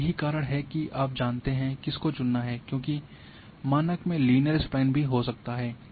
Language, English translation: Hindi, And that is why you know which one to choose whether in default it might be linear spline is coming